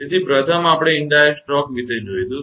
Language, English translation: Gujarati, So, first we will see the indirect stroke